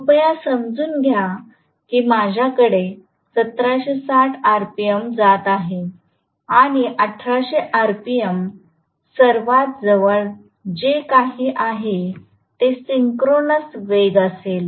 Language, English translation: Marathi, Please understand if I am going to have 1760 rpm and 1800 rpm will be the synchronous speed whatever is the closest